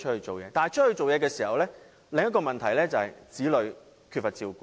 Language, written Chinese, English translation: Cantonese, 但是，外出工作衍生另一個問題就是，子女缺乏照顧。, However when they go to work another problem will arise and that is their children will be in lack of care